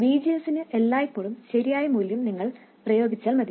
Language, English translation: Malayalam, You just have to apply the correct value of VGS